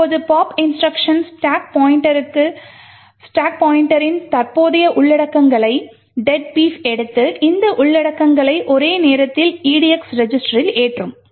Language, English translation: Tamil, Now the pop instruction would take the current contents of the stack pointer which is deadbeef and load these contents into the edx register simultaneously the stack pointer is incremented by 4 bytes